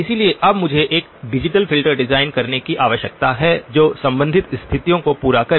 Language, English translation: Hindi, So now I need to design a digital filter that will satisfy the corresponding conditions